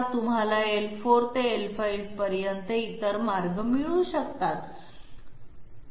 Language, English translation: Marathi, Can you have other paths from L4 to L5